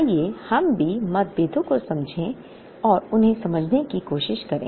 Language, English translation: Hindi, Let us also try and understand the differences and try to explain them